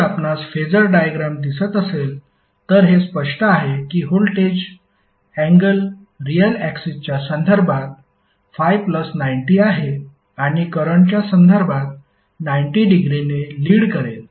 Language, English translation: Marathi, So if you see the phasor diagram it is clear that voltage is having 90 plus Phi with respect to real axis and it is having 90 degree leading with respect to current